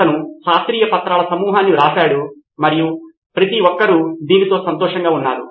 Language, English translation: Telugu, He wrote a bunch of scientific papers and everybody was happy with this